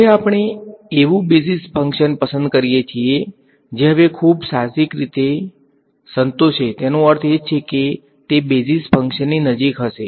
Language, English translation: Gujarati, Next we will choose the function we choose the basis function which I intuitively now is going to satisfy the I mean it is going to be close to the basis function